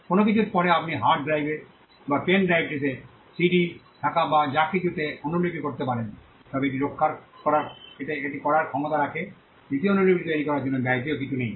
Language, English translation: Bengali, Next to nothing, you can just copy it whatever is there in a CD onto a hard drive or to a pen drive if it has the capacity to do it, so the cost of making the second copy is next to nothing